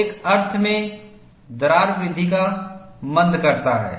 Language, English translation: Hindi, So, that, in a sense, retards the crack growth